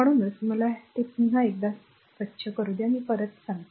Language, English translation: Marathi, So, that so, let me clean this one again I will be back to you right